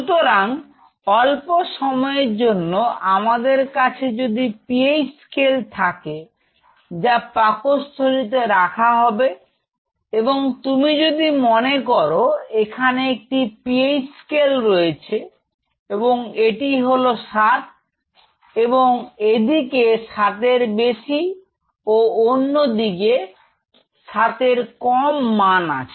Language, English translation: Bengali, So, for transient period of time if I have a PH scale out in the stomach, if you think of it, something like PH scale here, so, if I say these are this is 7 and this is plus 7 onward; these are my below 7, see for example, less than 7